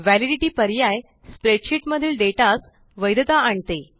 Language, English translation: Marathi, The Validity option validates data in the spreadsheet